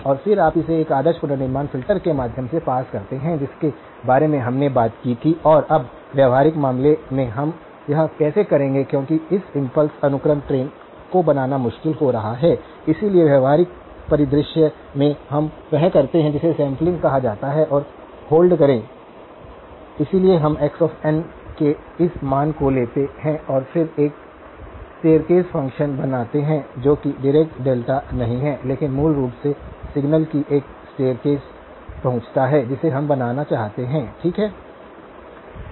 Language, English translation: Hindi, And then you pass it through an ideal reconstruction filter which we talked about and then now in the practical case, how will we do that because creating this impulse sequence train is going to be difficult, so in the practical scenario we do what is called sample and hold, so we take this value of x of n and then create a staircase function which is not the Dirac delta but basically a staircase approximation to the signal that we want to create, okay